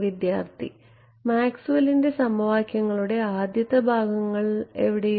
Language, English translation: Malayalam, The opening set of Maxwell’s equations which have somewhere